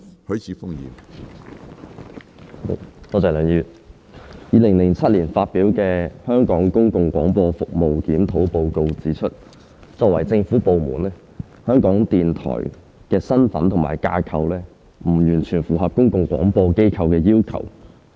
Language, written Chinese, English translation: Cantonese, 梁議員 ，2007 年發表的《香港公共廣播服務檢討報告》指出，作為政府部門，香港電台的身份及架構不完全符合公共廣播機構的要求。, Mr LEUNG the Report on Review of Public Service Broadcasting in Hong Kong published in 2007 has pointed out that the status and structure of Radio Television Hong Kong RTHK as a government department does not fit the bill of a public service broadcaster in full